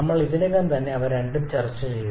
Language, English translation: Malayalam, We have already discussed about both of them